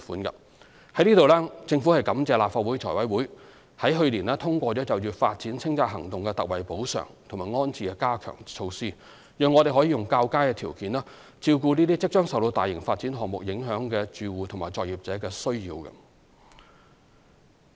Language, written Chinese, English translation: Cantonese, 就此，政府感謝立法會財務委員會去年通過就發展清拆行動特惠補償及安置的加強措施，讓我們可以較佳的條件照顧即將受到大型發展項目影響的住戶及作業者的需要。, In this connection the Government is grateful to the Finance Committee of the Legislative Council for approving the enhancements to the general ex - gratia compensation and rehousing arrangements for the Governments development clearance exercises last year so that we are in a better position to cater for the needs of residents and operators who will soon be affected by major development projects